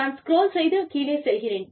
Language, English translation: Tamil, I will just scroll down